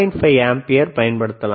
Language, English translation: Tamil, 5 ampere, right